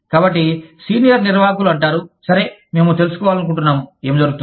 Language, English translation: Telugu, So, the senior management says, okay, we want to know, what is going on